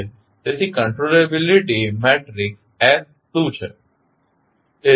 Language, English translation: Gujarati, So, what is the controllability matrix S